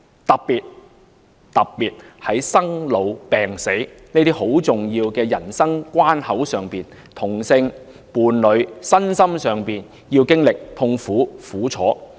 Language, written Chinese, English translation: Cantonese, 尤其是在生老病死的重要人生關口上，同性伴侶身心上要經歷痛苦和苦楚。, Notably homosexual couples endure pain and suffering physically and mentally at certain critical times of life such as child birth illness old age and death